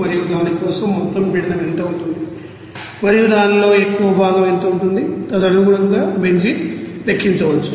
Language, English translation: Telugu, And what will be the total pressure for that and what will be the more fraction of that, you know benzene accordingly is that can be calculated